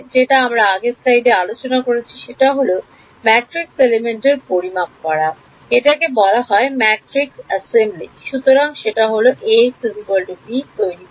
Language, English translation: Bengali, What we just discussed in the previous slide that is calculating the matrix elements it is called matrix assembly